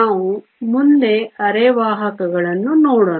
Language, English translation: Kannada, Let us next look at semiconductors